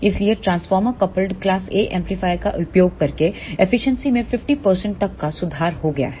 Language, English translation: Hindi, So, by using transformer coupled class A amplifier the efficiency has been improved to 50 percent